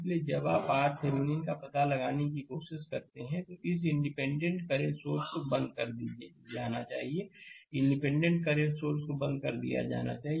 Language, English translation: Hindi, So, when you try to find out R Thevenin, this independent current source should be turned off right; independent current source should be turned off